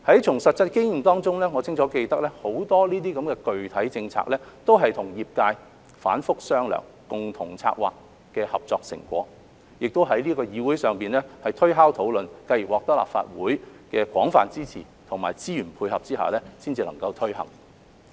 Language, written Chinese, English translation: Cantonese, 從實際經驗中，我清楚記得很多具體政策都是和業界反覆商量、共同策劃的合作成果，亦在這議會上推敲討論，繼而獲得立法會的廣泛支持，並在資源配合下才能夠推行。, I clearly remember from my actual experience that many concrete policies were the result of repeated discussions and joint planning with the industry . The Legislative Council has also thought over it before being implemented with the extensive support of the Legislative Council and resources support